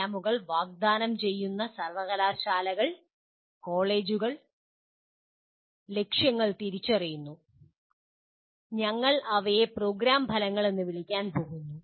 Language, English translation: Malayalam, Universities, colleges offering the programs, will identify the “aims” and we are going to call them as “program outcomes”